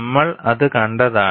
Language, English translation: Malayalam, That we have seen